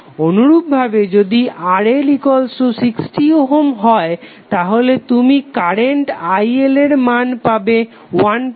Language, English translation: Bengali, Similarly if RL is 16 ohm you will get current IL as 1